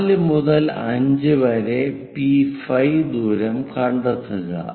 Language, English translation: Malayalam, From 4 to 5, locate a distance P5